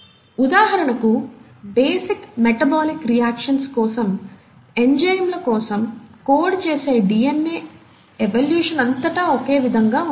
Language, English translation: Telugu, For example, the DNA which will code for enzymes, for basic metabolic reactions are highly similar across evolution